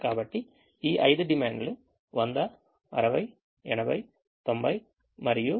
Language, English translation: Telugu, so the five demands are hundred, sixty, eighty, ninety and seventy